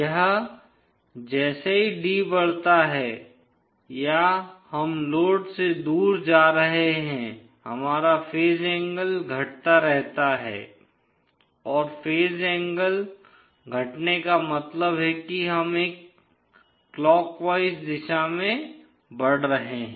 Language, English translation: Hindi, So if we can draw this, as d increases or we are going away from the load, our phase angle keeps on decreasing and phase angle decreasing means we are moving in a clockwise direction